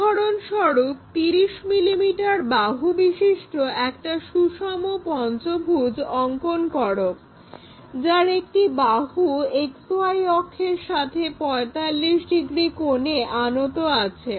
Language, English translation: Bengali, For example, on this slide, draw a regular pentagon of 30 mm sides with one side is 45 degrees inclined to XY axis